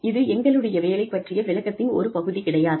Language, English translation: Tamil, It is not part of our job description